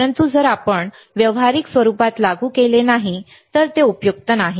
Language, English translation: Marathi, But if you do not apply into practical it is not useful